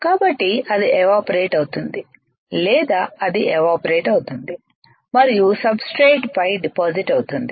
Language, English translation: Telugu, So, that it vaporizes or it evaporates it and gets deposited on the substrate